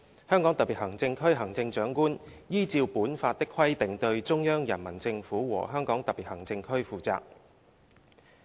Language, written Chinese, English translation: Cantonese, 香港特別行政區行政長官依照本法的規定對中央人民政府和香港特別行政區負責。, The Chief Executive of the Hong Kong Special Administrative Region shall be accountable to the Central Peoples Government and the Hong Kong Special Administrative Region in accordance with the provisions of this Law